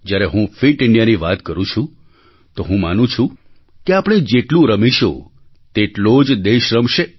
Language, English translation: Gujarati, When I say 'Fit India', I believe that the more we play, the more we will inspire the country to come out & play